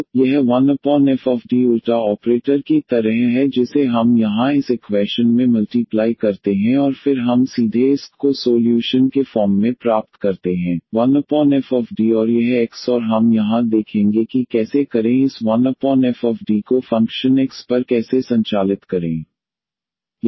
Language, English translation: Hindi, So, this 1 over f D is like the inverse operator which we multiply here to this equation and then we get directly this y here as a solution, 1 over f D and this X and we will see here that how to how to operate the this 1 over f D on function X here which is a function of X